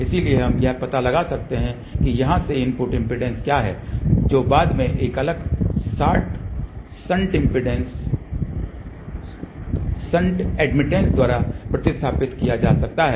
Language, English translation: Hindi, So, we can find out what is the input impedance from here which can then be replaced by a shunt admittance